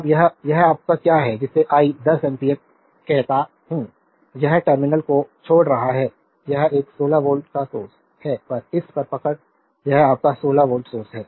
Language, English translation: Hindi, Now, this, your what you call this I 10 ampere, this is leaving the terminal this one this 16 volt source just hold on this your this is 16 volt source